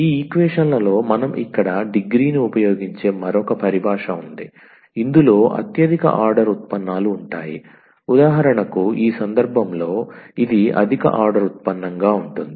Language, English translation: Telugu, There is another terminology we will using here degree and degree here in these equations will be the degree of again the highest order derivatives involved, for instance in this case this is the higher order derivative